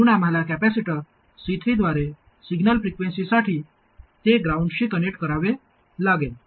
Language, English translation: Marathi, So we have to connect it to ground for signal frequencies through a capacitor C3